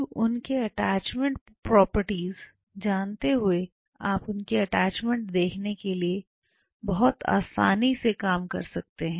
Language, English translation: Hindi, Now seeing their attachment properties and you can do very simple things to see the attachment